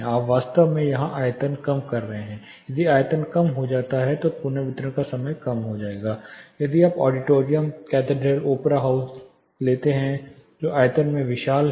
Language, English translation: Hindi, You are actually reducing the volume here, if the volume reduces reverberation time will go down, if you take large auditorium, cathedrals, opera houses they are huge in volume